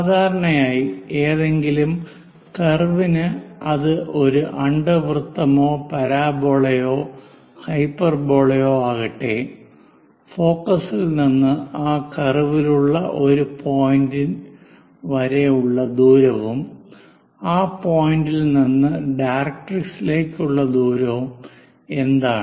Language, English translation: Malayalam, Usually for any curve, whether it is ellipse parabola or directrix, from focus to a point on the curve, it can be this point this point or this point one of the point